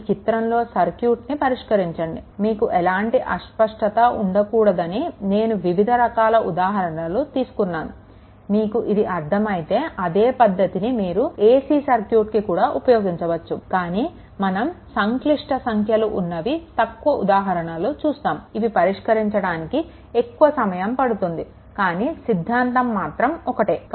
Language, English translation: Telugu, So, just look at this circuit, let us look varieties of examples, we have taken such that you should not get, you should not be any you know you; there should not be any confusion ac circuit also similar thing will be there, but we take less number of examples when you see that because complex number will involve, it takes time to solve right, but concept will remain same